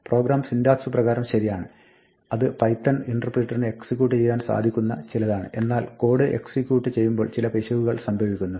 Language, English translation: Malayalam, The program is syntactically correct it is something that the python interpreter can execute, but while the code is being executed some error happens